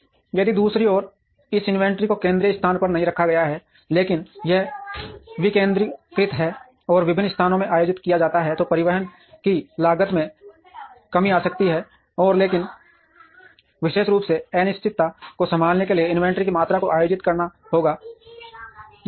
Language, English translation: Hindi, If on the other hand this inventory is not held in a central place, but it is decentralized and held in different places, then the cost of transportation may come down, but the amount of inventory that has to be held particularly to handle uncertainty will be higher